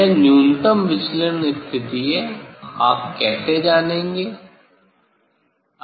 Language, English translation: Hindi, this is the minimum deviation position, how you will know